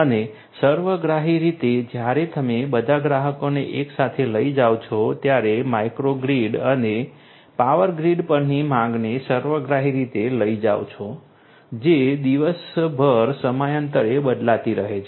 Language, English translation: Gujarati, And holistically as well when you take all the customers together the demand on the micro grids and the power grids holistically that is also going to vary over time throughout the day